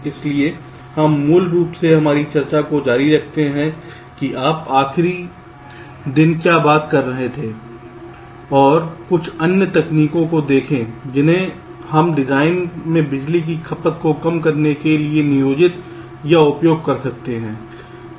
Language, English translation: Hindi, so we we basically continue with our discussion, what you are talking about last day, and look at some other techniques that we can employ or use for reducing the power consumption in design